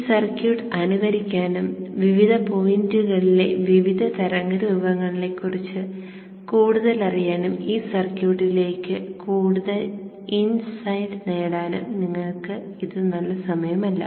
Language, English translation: Malayalam, It is now a good time for you to simulate the circuit and learn more about the various waveforms at various points and get more insights into this circuit